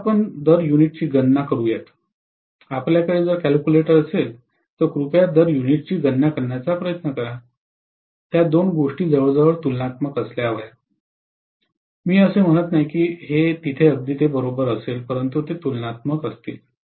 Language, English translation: Marathi, Now you calculate the per unit, if you guys have the calculator, please try to calculate the per unit, both of them should be almost comparable, I am not saying there will be exactly equal, but they will be comparable